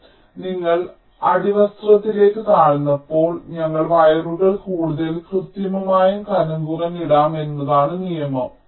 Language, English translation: Malayalam, so the rule is that when you are lower towards the substrate, we can lay the wires much more accurately and thinner